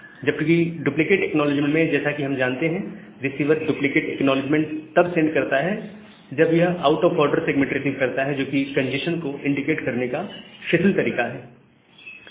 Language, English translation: Hindi, Whereas, this duplicate acknowledgement, here as we know that the receiver sends a duplicate acknowledgement, when it receives out of order segment, which is a loose way of indicating a congestion